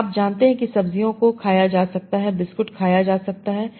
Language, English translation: Hindi, So I know vegetables can be eaten, biscuits can be eaten, so they have a high value